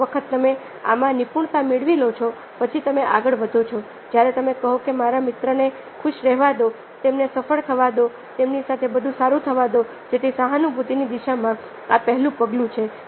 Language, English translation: Gujarati, then you move on to step when you say that let my friends be happy, let them the successful, let everything is good with them, so that this is the first step in the direction of empathy